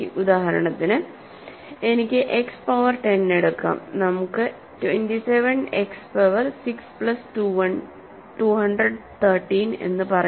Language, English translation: Malayalam, Just for example, I can take X power 10, let us say 27 X power 6 plus 213